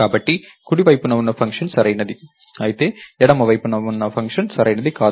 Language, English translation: Telugu, So, the function on the right side is correct, whereas the function on the left side is not